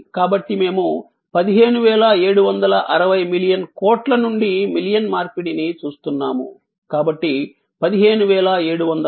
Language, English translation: Telugu, So, that means we are looking at 15760 million crore to million conversion, so 15760 thousand